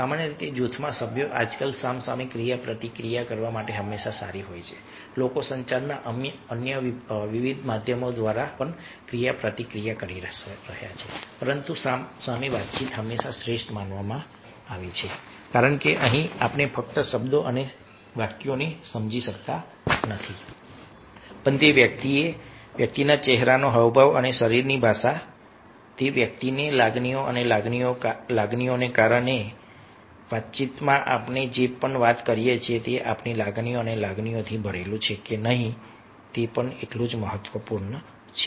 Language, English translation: Gujarati, nowadays, yeah, people are interacting also through various other means of communications, but face to face communication always considered to be the very the best one, because here we can not only understand the words and sentences but also the facial expression and body language of that person, the, the emotions and the feelings of that persons